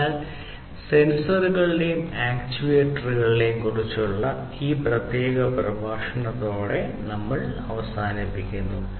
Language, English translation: Malayalam, So, with this we come to an end of this particular lecture on sensors and actuators